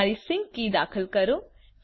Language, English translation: Gujarati, Enter your sync key